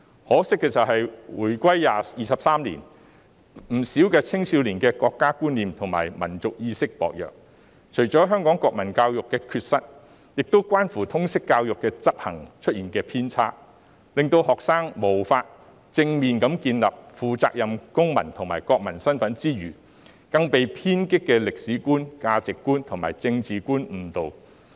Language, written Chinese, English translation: Cantonese, 可惜的是，回歸23年，不少青少年的國家觀念及民族意識薄弱，除了歸因於香港國民教育的缺失，亦關乎通識教育的執行出現偏差，令學生無法正面地建立負責任的公民及國民身份，更被偏激的歷史觀、價值觀及政治觀誤導。, Regrettably 23 years after the unification many young people have a weak sense of national identity and national consciousness . Apart from the inadequacies of the national education in Hong Kong this should also be attributed to the deviation in the implementation of LS education . Students are prevented from building the identity of a responsible citizen and national in a positive manner and are misled by radical views on history values and politics